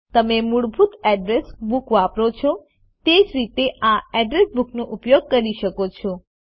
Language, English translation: Gujarati, You can use this address book in the same manner you use the default address books